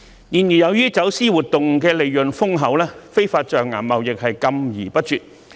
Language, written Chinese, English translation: Cantonese, 然而，由於走私活動利潤豐厚，非法象牙貿易禁之不絕。, But that has failed to eradicate illegal ivory trade with the lucrative profits from smuggling activities being as stake